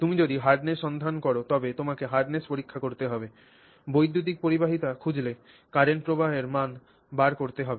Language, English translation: Bengali, If you are looking for hardness, then you are going to check for hardness, you are looking for electrical conductivity, you may look for that measurement you may make